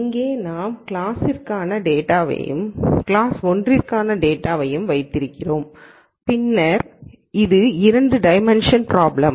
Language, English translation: Tamil, So, here we have data for class 0 and data for class 1 and then clearly this is a 2 dimensional problem